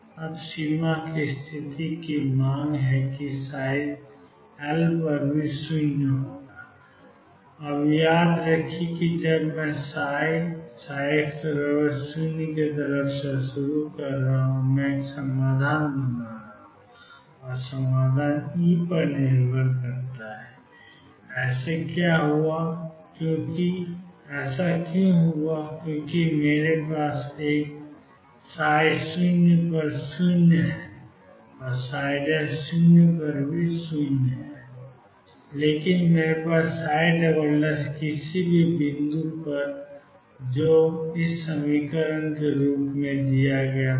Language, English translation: Hindi, Now boundary condition demands that psi L be equal to 0, remember now when I am starting from psi equal to psi at x equals 0, I am building up a solution and the solution depends on E; what is that happened because I had a psi 0 equal to 0 psi prime equal to 0, but I have psi double prime at any point which is given as 2 m over h cross square V 0 minus E psi